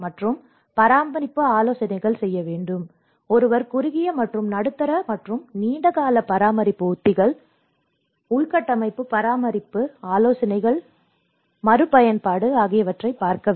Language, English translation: Tamil, And the maintenance advice: so, one has to look at both short and medium and long term maintenance strategies and infrastructure maintenance advice and retraining